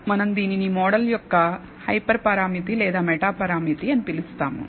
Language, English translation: Telugu, We call this a hyper parameter or a meta parameter of the model